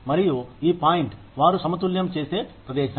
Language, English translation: Telugu, And, this is the point is where they balance out